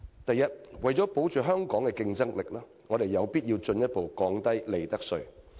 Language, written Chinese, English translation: Cantonese, 第一，為了保持香港的競爭力，我們有必要進一步降低利得稅。, Firstly to maintain Hong Kongs competitiveness we must reduce profits tax further